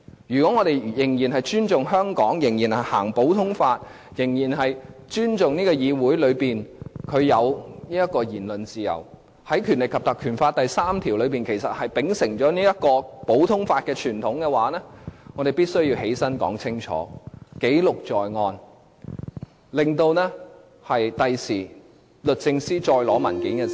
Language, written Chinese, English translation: Cantonese, 如果我們仍然尊重香港，仍然行使普通法，仍然尊重議會內有言論自由，而《條例》第3條其實是秉承了這項普通法的傳統，我們必須要站起來說清楚，記錄在案，令日後律政司再要求索取文件時......, If we still respect Hong Kong still implement common law still respect this Council for having freedom of speech while section 3 of the Ordinance is actually upholding this common law tradition we have to stand up state clearly and have our speeches recorded so that when DoJ asks to solicit documents again